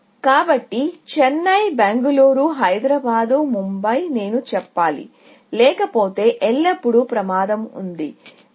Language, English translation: Telugu, So, Chennai, Bangalore, Hyderabad, Mumbai; I should say, otherwise, there is always a danger; and Delhi